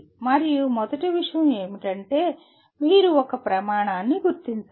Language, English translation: Telugu, And first thing is you have to identify a criteria